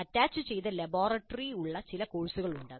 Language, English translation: Malayalam, There are certain courses for which there is an attached laboratory